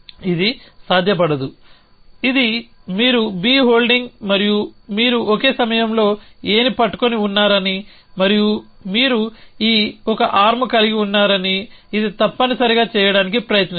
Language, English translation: Telugu, This is not feasible this says you a holding B and you holding A at the same time and then you have these 1 arm which is trying to do this essentially